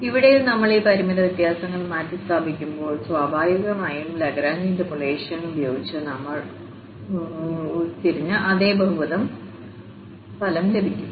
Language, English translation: Malayalam, So, here again we when we substitute these finite differences, so, we will get the result which is naturally the same polynomial which we have just derived using Lagrange interpolation